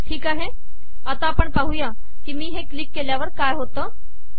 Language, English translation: Marathi, Alright, lets see what happens when I click this